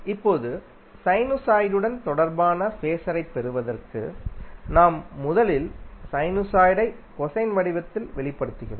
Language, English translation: Tamil, Now, to get the phaser corresponding to sinusoid, what we do, we first express the sinusoid in the form of cosine form